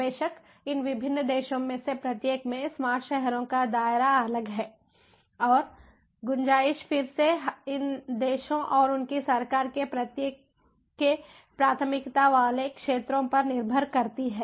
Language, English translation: Hindi, of course, the scope of smart cities in each of these different countries is different, and the scope again depends on the priority areas of each of these countries and their government